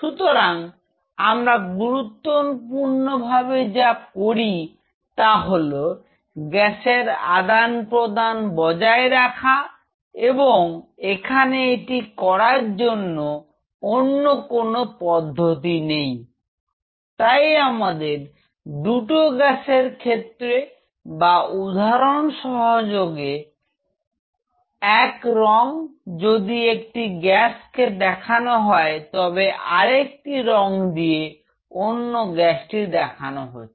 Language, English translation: Bengali, So, what we essentially do is that we keep the gaseous exchange, because there is no other way for us, gaseous exchange something like this we have to draw it will be something like this for both the gases or with us little bit of a say for example, if one color represents one gas the other one will be something like this